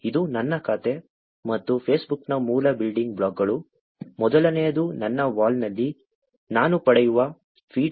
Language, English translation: Kannada, This is my account and the basic building blocks of Facebook, first is the feed that I get on my Wall